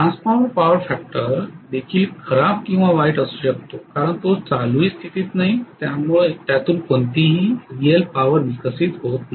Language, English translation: Marathi, Transformer power factor could also be as bad or even worse because it is not even running, it is not even getting any real power developed